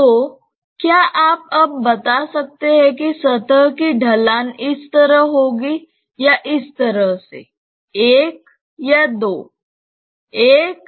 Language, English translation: Hindi, So, can you tell now whether the slope of the surface will be like this or like this; 1 or 2